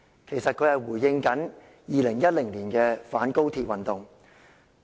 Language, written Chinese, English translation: Cantonese, 其實他這樣說是回應2010年的反高鐵運動。, He said that in response to the anti - Express Rail Link campaign in 2010